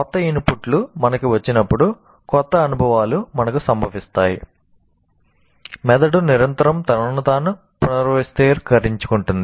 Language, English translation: Telugu, As new inputs come to us, new experiences happen to us, the brain continuously reorganizes itself